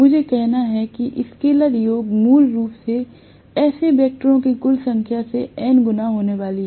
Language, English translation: Hindi, I have to say scalar sum basically is going to be n times whatever is the total number of such vectors that is it